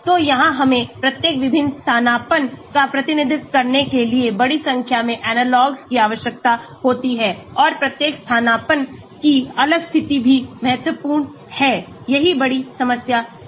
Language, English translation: Hindi, So, here we need to have a large number of analogues to be synthesized to represent each different substituent and each different position of a substituent that is also important, that is the big problem